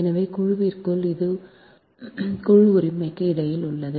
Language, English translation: Tamil, so this within the group, this is between the group, right